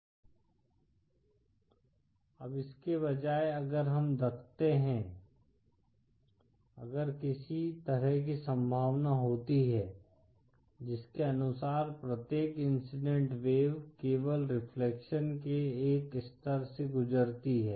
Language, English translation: Hindi, Now instead of that if we put, if there was some kind of possibility by which say every incident wave undergoes only one level of reflection